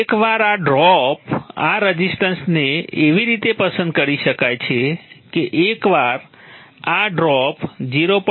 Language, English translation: Gujarati, So once this drop this rest of can be so chosen that once this drop crosses 0